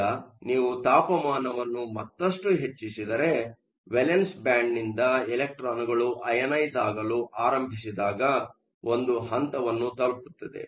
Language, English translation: Kannada, Now if you keep increasing temperature further, there is going to come a point when electrons are starting to get ionized from the valence band